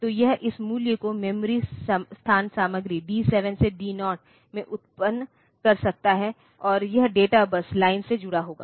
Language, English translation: Hindi, So, it can generate this value the memory location content in D 7 to D 0, and it will be connected to the data bus line